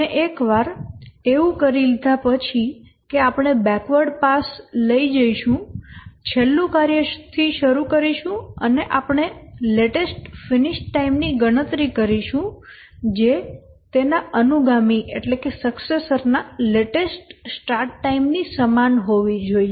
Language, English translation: Gujarati, And once having done that, we'll take the backward pass, start with the last task, and we'll compute the latest completion time which should be equal to the latest start time of its successor